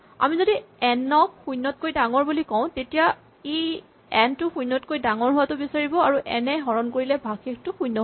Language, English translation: Assamese, So, if we say n is greater than 0 and this it will require n to be number bigger than 0 and the reminder n divided by n to be equal to 0